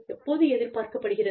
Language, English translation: Tamil, By when, it is expected